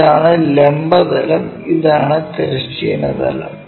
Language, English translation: Malayalam, This is the horizontal plane, what we are intended for and this is the vertical plane